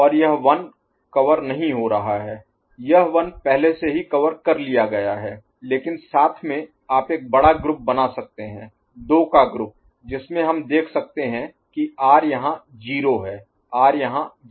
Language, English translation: Hindi, And this 1 is not covered this 1 is already covered, but together you can form a larger group, group size of 2 in which we can see that R is 0 here R is 0 here